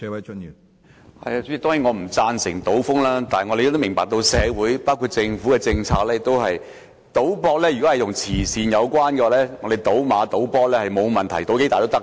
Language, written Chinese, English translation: Cantonese, 主席，當然我不贊成賭風，但我們明白到，政府的政策是，如果賭博與慈善有關，則賭馬和足球博彩都沒有問題，賭注多大都可以。, President of course I disapprove of gambling but our understanding of the Governments policy is that if gambling is associated with charity there are no problems with horse racing betting and soccer betting regardless of the amounts of bets placed